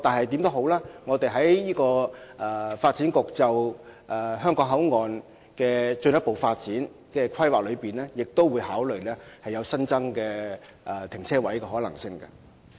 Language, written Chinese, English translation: Cantonese, 不過，發展局為香港口岸進行進一步發展規劃時，也會考慮新增停車位的可能性。, Nevertheless in making further development planning for HKBCF the Development Bureau will take into consideration the feasibility of providing additional parking spaces